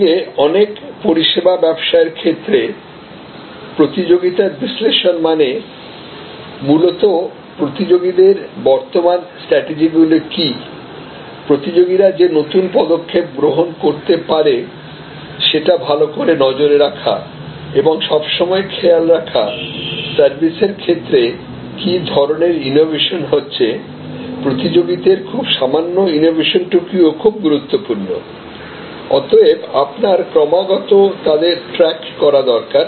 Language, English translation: Bengali, Whereas, in case of many services businesses, the competition analysis is mainly focused on what are the current strategies of the competitors, the new actions that competitors likely to take and always looking at what are the service innovations and even incremental innovations from competitors are very crucial and therefore, you need to constantly track them